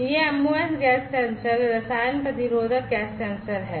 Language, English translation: Hindi, This MOS gas sensors are chemi resistive gas sensors